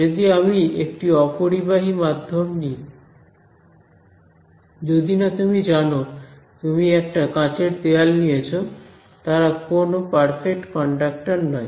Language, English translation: Bengali, So, if I take a non conducting medium unless you take you know glass wall floor whatever right you do not they are there are no its not they are not perfect conductors